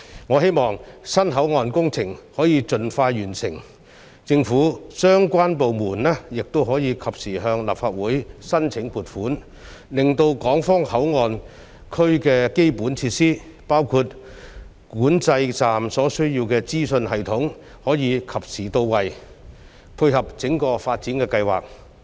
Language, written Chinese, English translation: Cantonese, 我希望新皇崗口岸的工程可以盡快完成，政府相關部門也可以及時向立法會申請撥款，令港方口岸區的基本設施，包括管制站所需要的資訊系統，可以及時到位，配合整個發展的計劃。, I hope that the construction works of the new Huanggang Port can be completed expeditiously while the relevant government departments will seek funding approval from the Legislative Council in a timely manner so that the basic facilities at HKPA including the information system necessary for the control point will be ready in time to dovetail with the whole development project